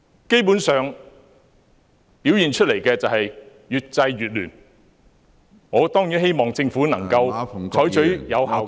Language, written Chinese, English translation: Cantonese, 基本上，表現出來是越制越亂，我當然希望政府能夠採取有效的......, Basically it seems that the attempts to stop violence have further aggravated the situation . I certainly hope the Government can adopt effective